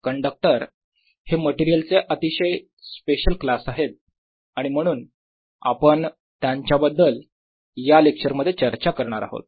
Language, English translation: Marathi, this is a very special class of materials and therefore we talk about them in them in this lecture